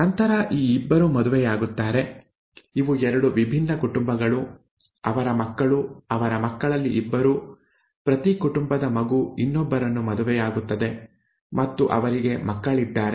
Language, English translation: Kannada, Then these 2 marry, these are 2 different families, their children, the 2 among their children, each one, a child from each family marries the other and they have children